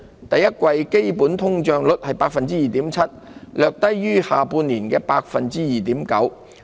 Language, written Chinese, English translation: Cantonese, 第一季基本通脹率為 2.7%， 略低於去年下半年的 2.9%。, The underlying inflation rate eased to 2.7 % in the first quarter a slight decrease from the 2.9 % recorded in the second half of last year